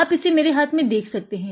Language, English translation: Hindi, You can see it in my hand